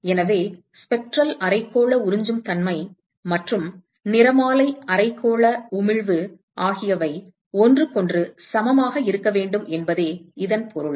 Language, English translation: Tamil, So, this means that the spectral hemispherical absorptivity and the spectral hemispherical emissivity also have to be equal to each other